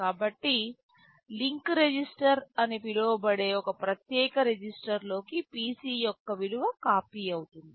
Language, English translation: Telugu, So, there is a special register called the link register, the value of the PC gets copied into the link register